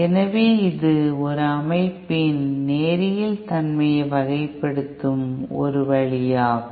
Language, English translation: Tamil, So this is one way of characterizing the linearity of a system